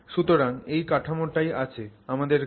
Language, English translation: Bengali, So, that is the structure that we have